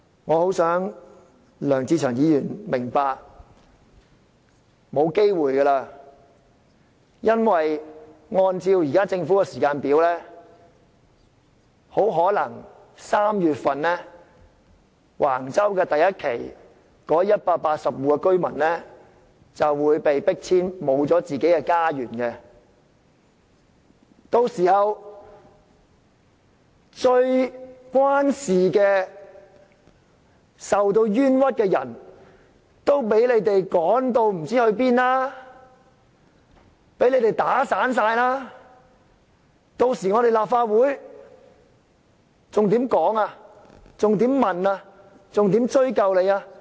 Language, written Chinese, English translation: Cantonese, 我很想梁志祥議員明白，已沒有機會了，因為按照政府的時間表，很可能受橫洲發展第1期計劃影響的180戶居民於3月份便會被迫遷，失去家園，到時候最受影響、最受到冤屈的人便會被你們趕到不知哪裏，全部被你們"打散"了，屆時立法會還有何可以討論、查問和追究的？, I really to draw Mr LEUNG Che - cheungs attention that we no longer have the chance because according to the Governments schedule the 180 households probably affected by the Wang Chau Phase 1 development would be forced to move out in March . These people will lose their homes . People who are most seriously affected and unjustly treated will be relocated to unknown places leaving their fellow villagers